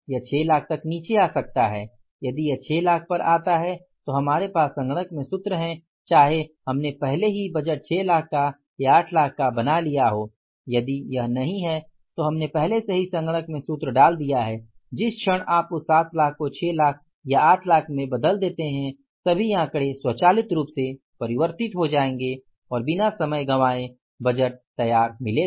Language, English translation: Hindi, So, either we have the budget already prepared for the 6 lakh also and the 8 lakh also and if it is not there already we have put the formula in the system, the moment you convert that 7 lakhs into 6 lakhs or 8 lakhs or the figures will automatically be converted and within no time the budget will be ready